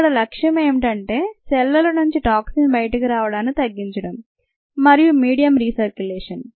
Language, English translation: Telugu, the aim is to enhance cell yields through toxin reduction and medium re circulation